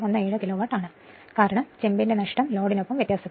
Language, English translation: Malayalam, 017 Kilowatt right because copper loss varying with the load